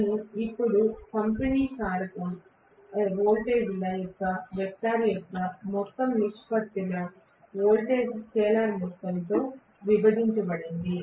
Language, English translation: Telugu, So, I am going to have now the distribution factor will be the ratio of the vector sum of the voltages divided by the scalar sum of the voltages